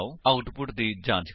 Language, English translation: Punjabi, Check the output